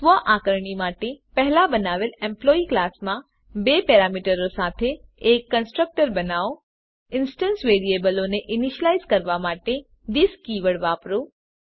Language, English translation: Gujarati, For self assessment, in the Employee class created earlier: Create a constructor with two parameters Use this keyword to initialize the instance variables